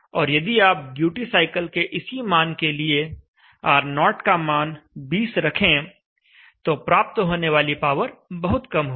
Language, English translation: Hindi, However at the given same value duty cycle, if you put R0 as 20 the power lawn will be vey less